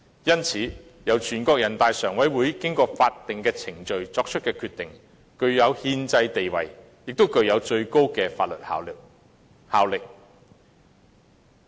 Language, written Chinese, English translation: Cantonese, 因此，由人大常委會經過法定程序作出的決定具有憲制地位，亦具有最高的法律效力。, Therefore the decision made by NPCSC after a legal process has constitutional status and the highest legal validity